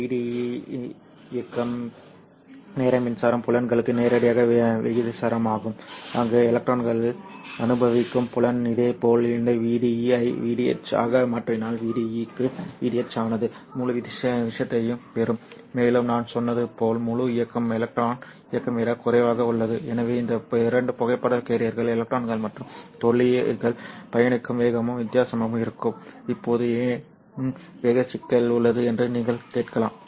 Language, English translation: Tamil, So if VDE stands for the drift velocity of the electrons and mu e stands for the mobility of the electrons, then this V DE is directly proportional to this mobility times electric field which is where the field experienced by the electron is similarly if you change this VD into VD H VD H you'll get the whole thing and as I said whole mobility is less than the electron mobility therefore the speed at which these two photocarrayers, electrons and holes travel, will also be different